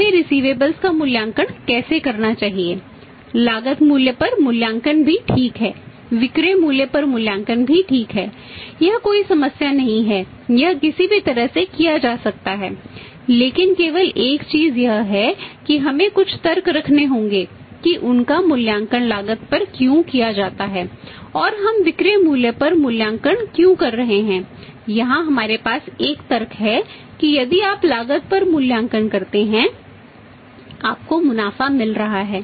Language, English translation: Hindi, And how we should evaluate the receivables value at the cost is also ok valuing at the selling price is also ok this no problem at all it can be done either way but only thing is that we will have to have some logic that why we are valued at cost and why we are valuing at selling price here we have a logic that if you valuing at the cost you are ending up in the profits